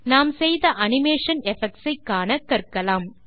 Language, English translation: Tamil, Let us now learn to view the animation effects we have made